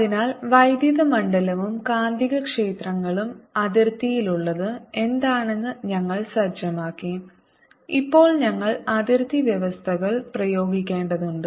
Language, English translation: Malayalam, so we have set up what the electric field and magnetic fields are at the boundary and now we need to apply the conditions